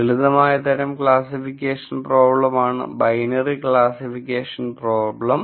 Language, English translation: Malayalam, The simpler type of classification problem is what is called the binary classification problem